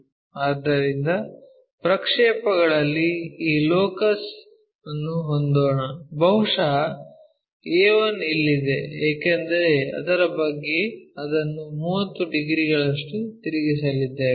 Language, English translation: Kannada, So, on the projection let us have this locus, maybe our a 1 is here because about that we are going to rotate it by 30 degrees